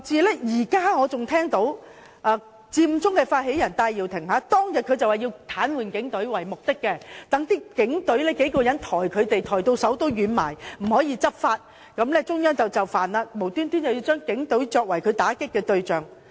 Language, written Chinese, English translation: Cantonese, 我現在還記得，佔中發起人戴耀廷當日表明要癱瘓警隊，要讓多名警員抬走他們，讓警員抬到手軟，無法執法，然後中央便會就範，無緣無故的把警隊作為他打擊的對象。, I still remember now that Benny TAI who initiated the Occupy Central had indicated clearly on that day the desire to paralyse the operation of the Police by obliging a number of policemen to carry them away . He said that policemen would be exhausted by such removal of participants and could not enforce the law and then the Central Authorities would accede to their demands . Why did he have to make the Police the target of attack?